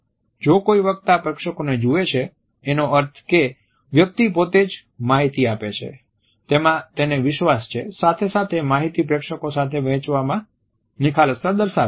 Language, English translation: Gujarati, If a speaker looks at the audience it suggest confidence with the content as well as an openness to share the content with the audience